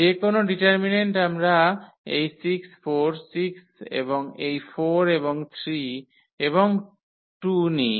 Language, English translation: Bengali, Any determinant we take this 6 4, 6 and this 4 and 3 and 2